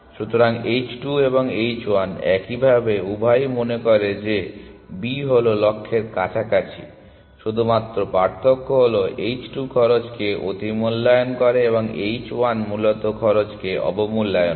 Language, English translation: Bengali, So, in the manner h 2 and h 1 are similar the both of them think that B is closer to the goal, the only difference is h 2 overestimates the cost and h 1 underestimates the cost essentially